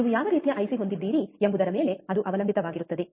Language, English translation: Kannada, It depends on what kind of IC you have